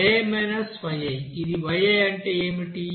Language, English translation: Telugu, What is this yi